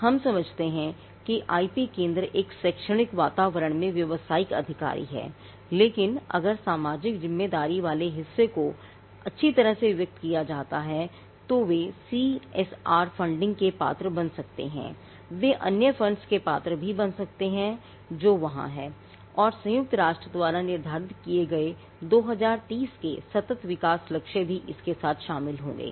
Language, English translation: Hindi, Now, we understand that the IP centres are business officers in an academic environment, but if the social responsibility part is articulated well then they could become eligible for CSR funding they could also become eligible for other funds which are there and it will also be in tune with the sustainable development goals of 2030 that have been set by the United Nations and the United Nations has already clearly stated that, what the sustainable development goals are